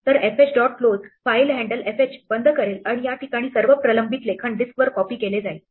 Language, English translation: Marathi, So, fh dot close, will close the file handle fh and all pending writes at this point are copied out to the disk